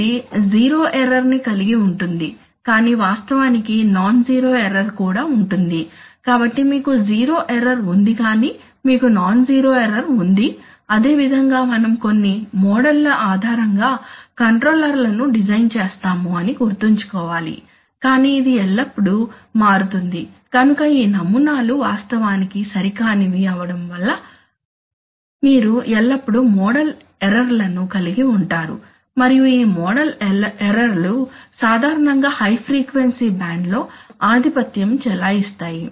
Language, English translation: Telugu, Which will have zero error but actually there will be non zero error, so that is, so you have zero error but you have non zero error, similarly we have to remember that, that you always have, actually you design controllers based on some models but it always turns out that these models are actually inaccurate so you are always going to have model errors and this model errors are typically dominant in the high frequency band